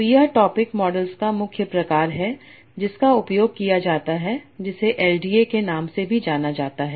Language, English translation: Hindi, So that is the main sort of topic models that are used, also known as LDA